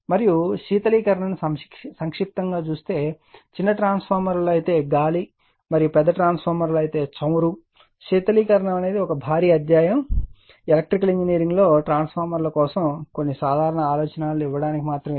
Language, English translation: Telugu, And cooling in brief air in small transformers and oil in large transformers, right cooling is a huge chapter, rightin a in a electrical engineering for transformers